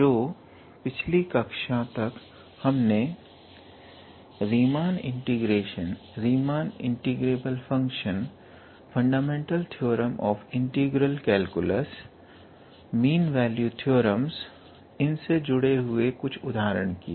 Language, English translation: Hindi, So, up until last class we looked into Riemann integration, Riemann integrable functions as a fundamental theorem of integral calculus, mean value theorems, and we also worked out few examples